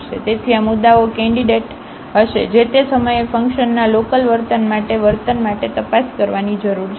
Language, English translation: Gujarati, So, these points will be the candidates, which we need to investigate for the behavior the local behavior of the function at that point